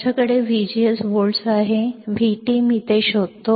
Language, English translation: Marathi, I have V G S 4 volts, V T I do find it out